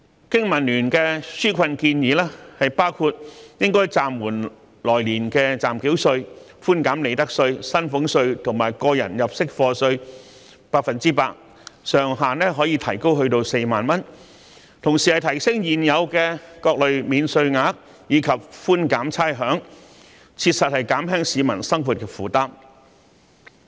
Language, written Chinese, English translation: Cantonese, 經民聯的紓困建議包括暫緩來年的暫繳稅；寬減利得稅、薪俸稅及個人入息課稅百分之一百，上限可提高至4萬元；提升各類免稅額及寬減差餉，以切實減輕市民的生活負擔。, Relief proposals put forward by BPA include holding over provisional tax for the coming year; reducing profits tax salaries tax and tax under personal assessment by 100 % subject to a higher ceiling of 40,000; increasing allowances and reducing rates to genuinely alleviate the living burden of the public